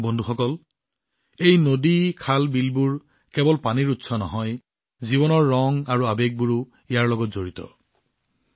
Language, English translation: Assamese, Friends, these rivers, canals, lakes are not only water sources… life's myriad hues & emotions are also associated with them